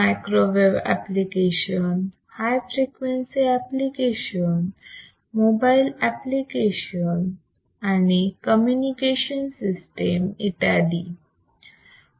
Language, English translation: Marathi, Microwave applications, very high frequency applications, like mobile and communication systems